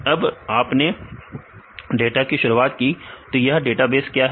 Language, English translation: Hindi, So, when you started data, what is a database